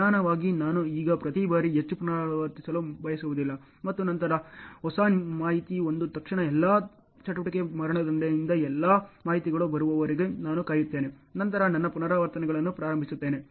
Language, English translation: Kannada, Slow implies I do not want to repeat too many times every now and then as soon as new information comes I wait for all the information comes from all the activity execution then I will start my repetitions ok